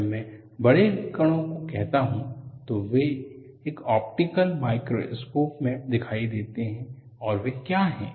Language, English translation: Hindi, When I say large particles, they are visible in optical microscope, and what are they